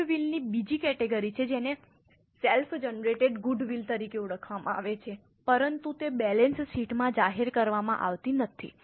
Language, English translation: Gujarati, There is another category of goodwill which is known as self generated goodwill but it is not disclosed in the balance sheet